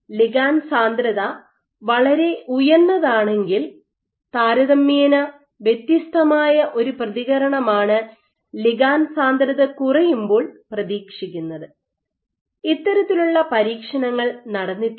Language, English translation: Malayalam, So, if your ligand density is very high if your ligand density is very high you might expect a different response compared to when ligand density is low, and these kinds of experiments have been performed